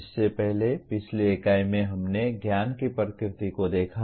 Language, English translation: Hindi, Earlier, in the earlier unit we looked at the nature of knowledge